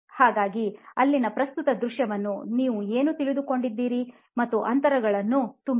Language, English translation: Kannada, So what is your take on the current scene that is there and fill some gaps for me